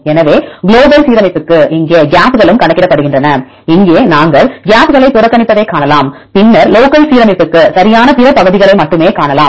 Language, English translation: Tamil, So, for the global alignment here gaps are also counted and here you can see we ignore the gaps and then see only the other regions right for local alignment